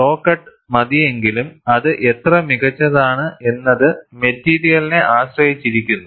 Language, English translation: Malayalam, Though saw cut is sufficient, how finer it is, depends on the material